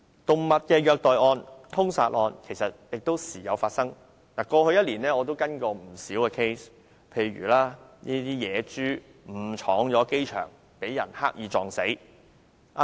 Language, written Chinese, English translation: Cantonese, 動物的虐待案和殺害案亦時有發生，在過去1年我也跟進過不少個案，譬如野豬誤闖機場，被人刻意撞死。, Cases of animal cruelty and killing occur frequently . I have followed up quite a few of them over the past year including a wild pig being deliberately knocked down while trespassing on the airport